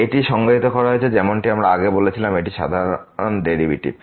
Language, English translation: Bengali, This is defined as we said before it is the usual derivative